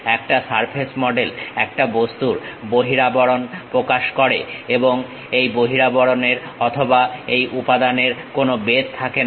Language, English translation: Bengali, A surface model represents skin of an object, these skins have no thickness or the material